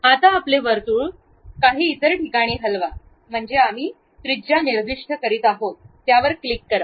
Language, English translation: Marathi, Now, move your circle to some other location, that means, we are specifying radius, click that